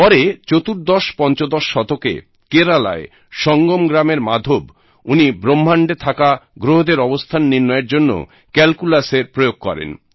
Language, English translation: Bengali, Later, in the fourteenth or fifteenth century, Maadhav of Sangam village in Kerala, used calculus to calculate the position of planets in the universe